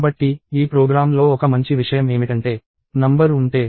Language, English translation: Telugu, So, one nice thing that this program has is if the number is